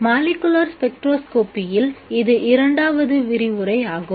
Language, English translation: Tamil, This is the second lecture in molecular spectroscopy